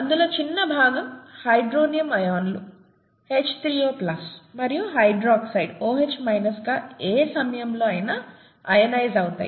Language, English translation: Telugu, A small part of it is ionised at any time into hydronium ions, H3O plus, and hydroxide OH minus, okay